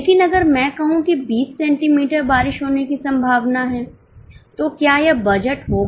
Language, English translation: Hindi, But if I say that it is likely to rain 20 centimeters, will it be a budget